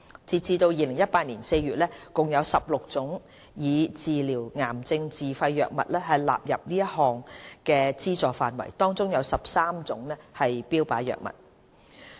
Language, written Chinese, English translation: Cantonese, 截至2018年4月，共有16種用以治療癌症的自費藥物獲納入此項目的資助範圍，當中有13種為標靶藥物。, As at April 2018 a total of 16 self - financed cancer drugs have been covered by this Programme and 13 of which are targeted therapy drugs